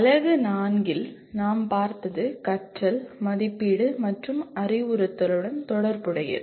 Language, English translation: Tamil, What we looked at in unit 4 is related to learning, assessment, and instruction